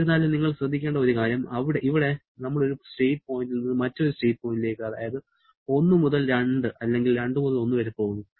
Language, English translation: Malayalam, However, one thing you have to be careful, here we are going from one state point to another state point that is from 1 to 2 or 2 to 1